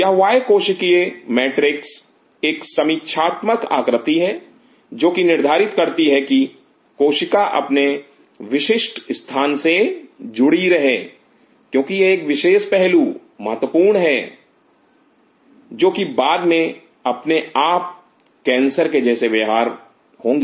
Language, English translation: Hindi, This extra cellular matrix is one critical feature in our body which ensures the cells remain adhered to their specific locations because this particular aspect is very critical when will be talking later about cancer itself